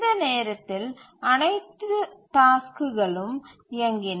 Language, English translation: Tamil, And by this time all the tasks have run